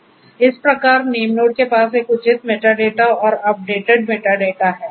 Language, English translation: Hindi, So, that the name node has a proper you know metadata and the updated metadata in place